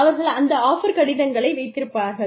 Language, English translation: Tamil, And then, they will take their, that offer letter